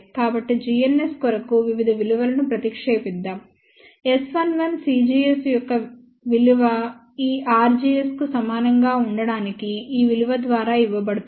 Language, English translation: Telugu, So, substitute various values for g ns, S 11 we can find out the value of c gs to be equal to this r gs is given by this value